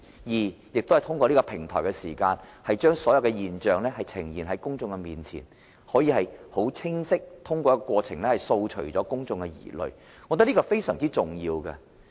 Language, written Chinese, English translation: Cantonese, 第二，通過這個平台和過程，將所有現象呈現在公眾面前，可以很清晰有力地掃除公眾的疑慮，我覺得這是非常重要的。, Second presenting the occurrence to the public on this platform and in this process can clearly and effectively remove public doubts . This is to me highly important